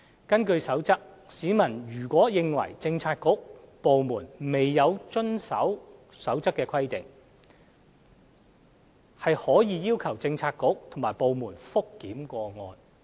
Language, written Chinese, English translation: Cantonese, 根據《守則》，市民如認為政策局/部門未有遵行《守則》的規定，可要求有關政策局/部門覆檢有關個案。, According to the Code any person who believes that a Policy Bureaugovernment department has failed to comply with any provision of the Code may ask the bureaudepartment to review the situation